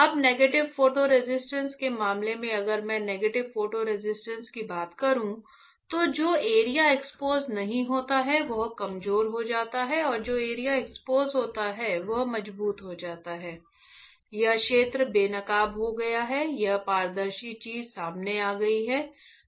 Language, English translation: Hindi, Now, in case of negative photo resist if I talk about negative photo resist, then the area which is not exposed the area which is not exposed becomes weaker right and area which is exposed right will become stronger, you see